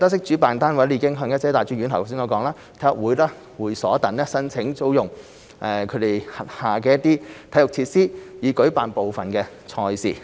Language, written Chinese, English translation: Cantonese, 主辦單位已向一些大專院校、體育會和會所等申請租用其轄下體育設施以舉辦部分賽事。, The organizer has approached some tertiary institutions sports clubs clubhouses etc . for hiring their sports facilities to organize some competitions